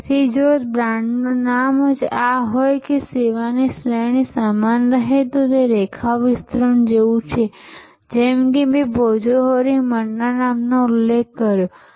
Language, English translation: Gujarati, So, if the brand name is this the same and the service category remains the same to it is like the line extension like I mentioned the name of Bhojohori Manna